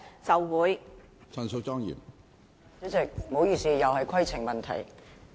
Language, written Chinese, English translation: Cantonese, 主席，不好意思，我又要提出規程問題了。, President sorry as I have to raise a point of order again